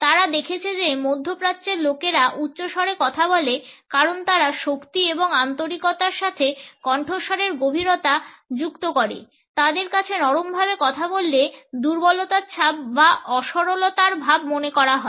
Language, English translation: Bengali, They have found that middle easterners speak loudly because they associate volume with strength and sincerity, speaking softly for them would convey an impression of weakness or in sincerity